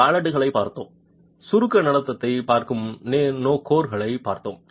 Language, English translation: Tamil, We looked at wallets, we looked at cores which are looking at compression behavior